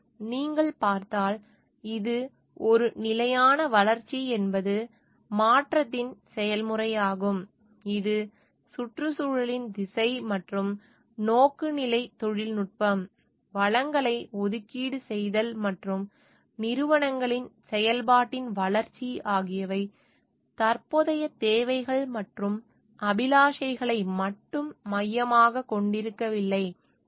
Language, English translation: Tamil, So, if you see, it is a sustainable development is a process of change, which the direction of environment and the orientation technology, the allocation of resources and the development of functioning of the institutions are focused not only towards the present needs and aspirations of the present generation, but it should be focusing towards the needs and aspirations the present generation